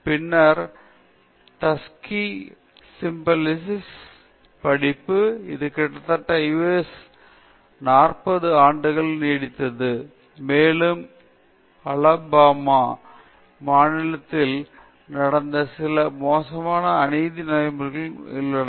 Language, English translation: Tamil, Then, the Tuskegee Syphilis Study which lasted for nearly about forty years in the US, and which also exposed some grossly unethical practices that took place in the state of the Alabama